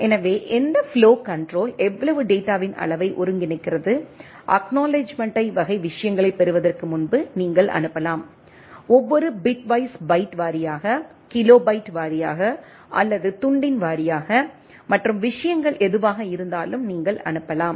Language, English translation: Tamil, So, what flow control coordinates the amount of how much data, you can send before receiving the acknowledgement type of things, every bitwise byte wise, kilobyte wise or chunk wise and whatever the things right